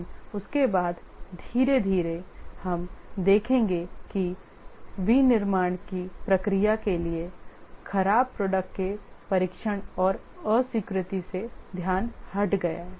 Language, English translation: Hindi, But after that, slowly we will see that the focus has shifted from testing and rejection of the bad product to the process of manufacturing